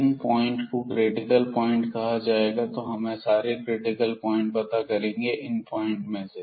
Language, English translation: Hindi, So, we will find all these critical points and find the values of the function at all these points